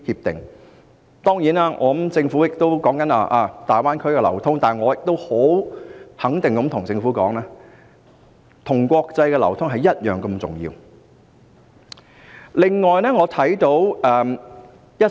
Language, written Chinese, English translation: Cantonese, 當然，政府現時經常談論大灣區的流通，但我可以肯定地告訴政府，國際流通是同樣重要的。, Of course the Government always talks about flows in the Greater Bay Area now but I can assure the Government that flows at the international level are equally important